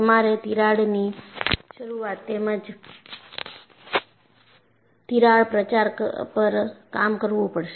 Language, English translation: Gujarati, So, you have to work upon crack initiation as well as crack propagation